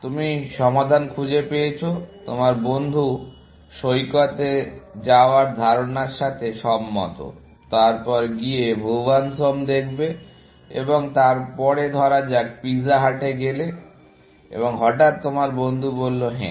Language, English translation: Bengali, You have found the solution; your friend is agreeable to the idea of going to the beach; then, going and watching Bhuvan’s Home, and then, going to the pizza hut for dinner, essentially